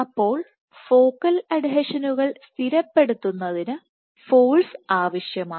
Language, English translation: Malayalam, So, force is required to stabilize focal adhesions